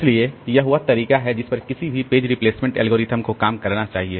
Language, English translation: Hindi, So, this is the way this any page replacement algorithm should work